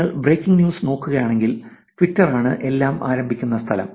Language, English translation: Malayalam, If you want to go to, go and look at the out breaking news, Twitter is the place to start with